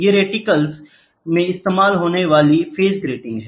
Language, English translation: Hindi, These are phase grating phase grating used in reticles